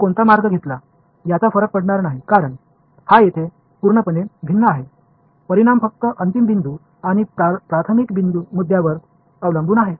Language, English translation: Marathi, It did not matter which path I took because this is a complete differential over here, the result depends only on the final point and the initial point